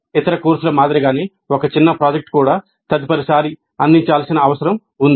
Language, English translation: Telugu, Like any other course a mini project also needs to be improved next time it is offered